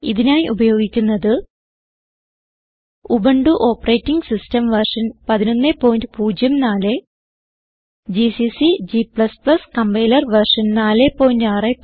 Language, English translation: Malayalam, To record this tutorial, I am using, Ubuntu Operating System version 11.04 gcc and g++ Compiler version 4.6.1